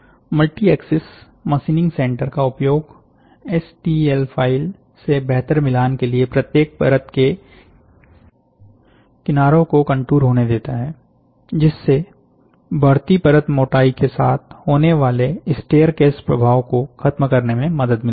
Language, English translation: Hindi, The use of multi axis machining center enables the edges of each layer to be contour to better match the STL file, helping eliminate the staircase effect that occurs with increasing layer thickness